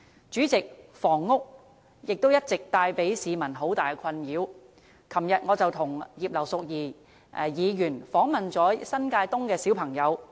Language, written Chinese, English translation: Cantonese, 主席，房屋問題也一直為市民帶來很大的困擾，我昨天與葉劉淑儀議員探訪新界東的兒童。, President the housing problem has all along been a grave concern to the people . Along with Mrs Regina IP I visited some children living in New Territories East yesterday